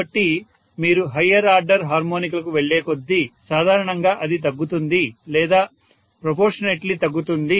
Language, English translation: Telugu, So, as you go to higher and the higher order harmonics generally it will be decreased or diminishing proportionately